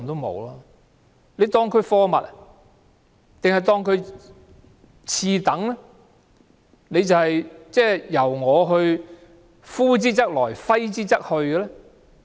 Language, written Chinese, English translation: Cantonese, 還是視他們為次等，任由政府呼之則來，揮之則去？, Does the Government want to treat these students like goods or second - class students that can be kicked around at will?